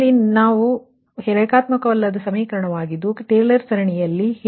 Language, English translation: Kannada, just now we saw that nonlinear equation, how to expand in in taylor series